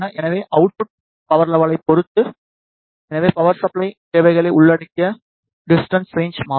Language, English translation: Tamil, So, depending on the output power level and hence the distance range to be covered the power supply requirements will change